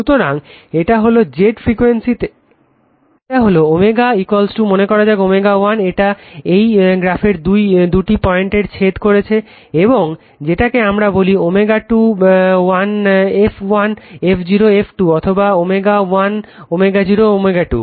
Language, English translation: Bengali, So, this is at frequency Z this is your omega is equal to say omega 1 it is intersecting two point of this curve and this is your what we call omega 21 f 1 f 0 f 2 or omega 1 omega 0 omega 2